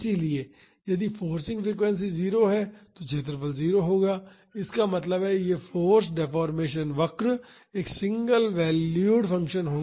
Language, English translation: Hindi, So, if the forcing frequency is 0 the area will be 0; that means, this force deformation curve will be a single valued function